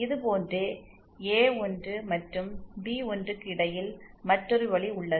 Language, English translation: Tamil, Another path exists between A1 and B1 like this